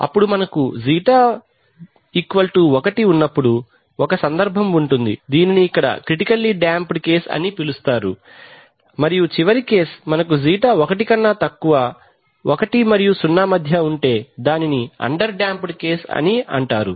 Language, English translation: Telugu, We will just see the case and then we will see the plots so and then we have a case when ξ = 1, ξ =1 which is called the critically damped case here we and the last case is when we have ξ is less than, between 1 and 0, so that is called the under damped case